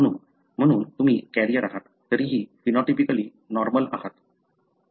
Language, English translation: Marathi, So, therefore you are carrier, still phenotypically normal